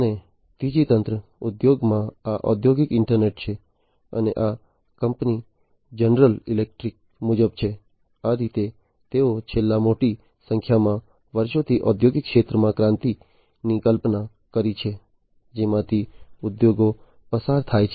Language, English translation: Gujarati, And the third wave, in the industries is this industrial internet and this is as per the company general electric, this is how they have visualized the revolution in the industrial sector over the last large number of years that industries have passed through